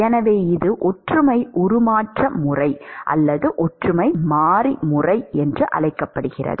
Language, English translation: Tamil, So, which is called the similarity transformation method, or similarity variable method